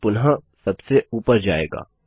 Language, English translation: Hindi, And then go back to the top